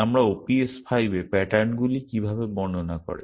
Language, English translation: Bengali, So, how do patterns describe in OPS5